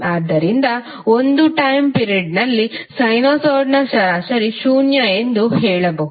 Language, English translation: Kannada, So we can say that average of sinusoid over a particular time period is zero